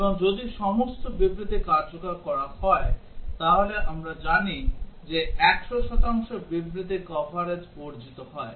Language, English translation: Bengali, And if all the statements are executed, then we know that 100 percent statement coverage is achieved